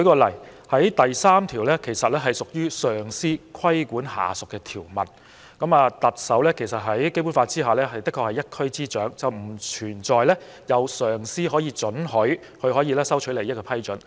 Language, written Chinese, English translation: Cantonese, 例如，第3條屬於上司規管下屬的條文，在《基本法》下，特首確實是一區之首，經上司批准收取利益的情況並不存在。, For example section 3 is a provision subjecting subordinates to the regulation of their superiors . Under the Basic Law the Chief Executive is without doubt the head of the region and the circumstances where there is a superior to give permission to him or her for accepting advantages just does not exist